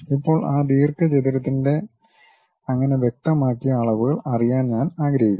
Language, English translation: Malayalam, Now, I would like to have so and so specified dimensions of that rectangle